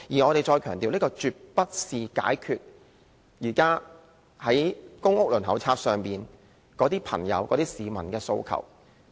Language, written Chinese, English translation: Cantonese, 我們再強調，這絕不能解決現在公屋輪候冊上市民的訴求。, We stress that it is never an answer to the aspirations of people on the PRH Waiting List